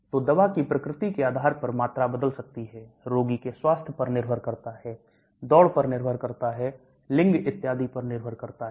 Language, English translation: Hindi, So the volume can change depending upon the nature of the drug, depending upon health of the patient, depending upon the race, depending upon the gender and so on